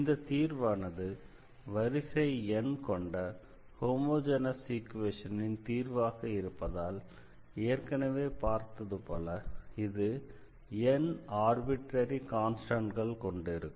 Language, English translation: Tamil, So, here since this is the general solution of the homogeneous equation this will have n arbitrary constants as discussed before that this is the nth order differential equation